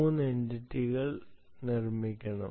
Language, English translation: Malayalam, three entities have to be made a note